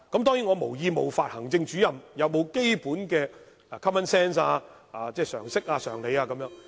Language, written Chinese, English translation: Cantonese, 當然，我無意冒犯行政主任，並非質疑他們有沒有基本的 common sense， 即常識、常理。, Certainly I do not mean to offend Executive Officers . I am not questioning whether they have the basic common sense